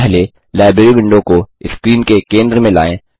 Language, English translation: Hindi, * First, lets move the Library window to the centre of the screen